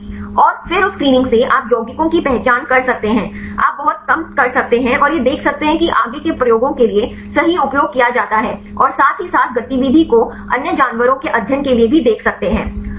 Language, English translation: Hindi, And then from that screening you can identify the compounds, you can reduce enormously and see this can be used right for the further experiments right to see the activity as well as for the other different animal studies